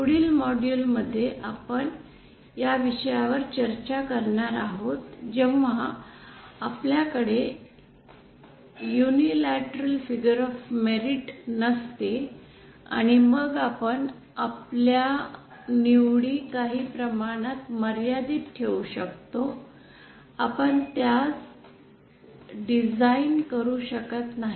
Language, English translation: Marathi, In the next module we shall be covering the case when they when we don’t have this unilateral figure of merit and then we shall that our choices are somewhat limited we cannot design it